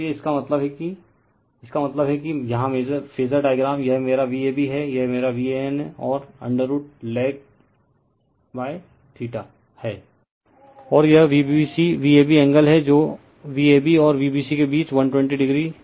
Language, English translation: Hindi, So; that means, ; that means, here in the phasor diagram this is my V a b this is my V a n right and I L lags by theta and this is v b c V a b angle between V a b and V b c is 120 degree you know